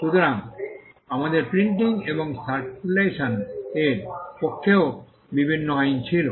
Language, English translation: Bengali, So, we had also various laws favouring printing and circulation